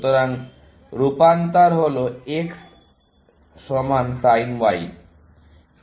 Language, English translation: Bengali, So, the transformation is X equal to sin Y